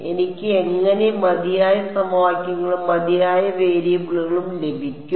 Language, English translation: Malayalam, How will I get enough equations and enough variables